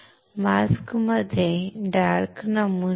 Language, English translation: Marathi, Where is the dark pattern in the mask